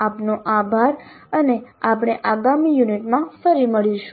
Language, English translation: Gujarati, Thank you and we'll meet again in the next unit